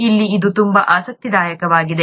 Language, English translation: Kannada, This is where it is very interesting